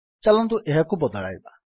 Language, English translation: Odia, Lets change it